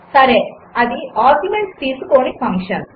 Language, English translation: Telugu, Well that is a function which takes no arguments